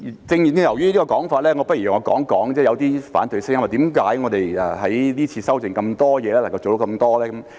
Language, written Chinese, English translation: Cantonese, 正正由於這個說法，我不如講一講有些反對聲音說，為何我們這次修訂這麼多東西，能夠做到這麼多？, Precisely because of such a comment let me talk about some opposition voices querying why we can make so many amendments and are able to achieve so much in this exercise